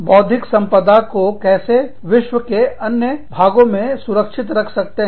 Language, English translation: Hindi, Now, how intellectual property is protected, in different parts of the world